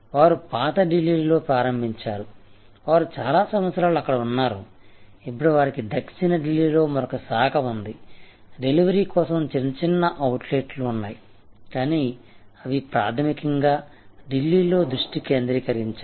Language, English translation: Telugu, They started in old Delhi, they were there for many years, now they have another branch in South Delhi, some small outlets for delivery, but they are basically Delhi focused